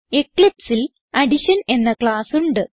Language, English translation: Malayalam, In eclipse, I have a class Addition